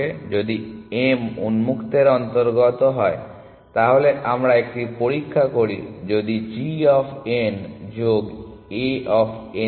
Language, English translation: Bengali, So, if m belongs to open, then we do a check if g of n plus this value A of n m